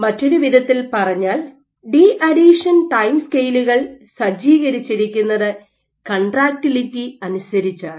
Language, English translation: Malayalam, In other words, deadhesion timescales are set, are dictated by contractility